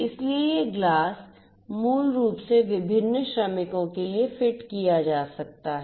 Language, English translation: Hindi, So, this glass could be basically fitted to the different workers